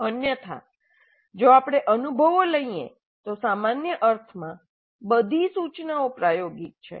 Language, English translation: Gujarati, Otherwise in a usual sense if we take experience, all instruction is experiential